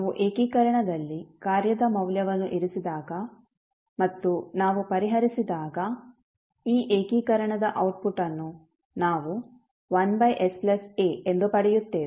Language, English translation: Kannada, When we put the value of function in the integration and we solve we get the output of this particular integration as 1 upon s plus a